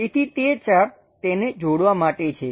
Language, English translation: Gujarati, So, that arc one has to join it